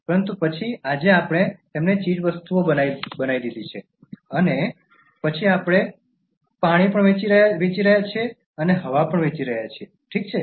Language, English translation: Gujarati, But then today we are making them as commodities and then we are selling water, we are selling air also, okay